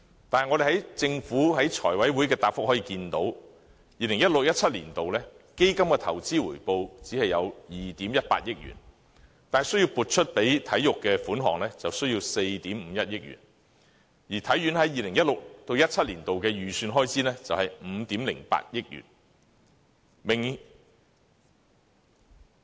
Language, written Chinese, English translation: Cantonese, 但是，我們從政府在財委會的答覆可以看到 ，2016-2017 年度的基金投資回報只有2億 1,800 萬元，但撥予體育的款項就需要4億 5,100 萬元，而體院在 2016-2017 年度的預算開支是5億800萬元。, However from the reply the Government gave to the Finance Committee we understand that the investment return of the Fund in 2016 - 2017 was just 218 million while the allocation to sports stood at 451 million and the estimated expenditure of HKSI in 2016 - 2017 amounted to 508 million